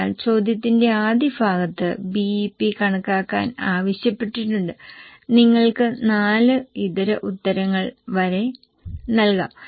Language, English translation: Malayalam, So, in the first part of question, it was asked that calculate the BP and you can have up to four alternate answers